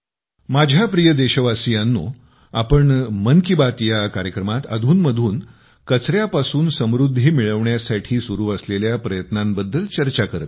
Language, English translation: Marathi, My dear countrymen, in 'Mann Ki Baat' we have been discussing the successful efforts related to 'waste to wealth'